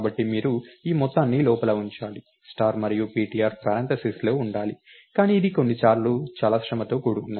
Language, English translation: Telugu, Therefore, you have to put this whole thing inside, the star and ptr should be within the parenthesis, but this is sometimes very laborious